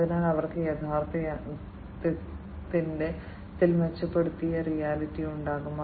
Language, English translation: Malayalam, So, they will have improved augmented reality of the actual reality